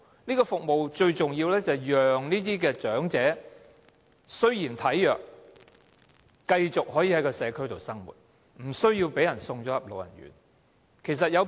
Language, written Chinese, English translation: Cantonese, 這些服務最重要是讓這些體弱長者可以繼續在社區生活，不用被送進老人院。, These services are significant in enabling the frail elderly to continue to live in the community so that they do not have to be sent to residential care homes